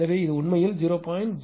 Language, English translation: Tamil, So, that is actually 0